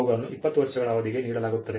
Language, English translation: Kannada, They are granted for a period of 20 years